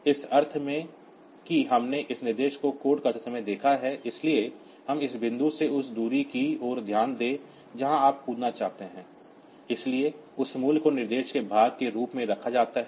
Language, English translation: Hindi, In the sense that we have seen that while coding this instruction, so we note down the distance from this point to the point where you want to jump, so that value is kept as the part of the instruction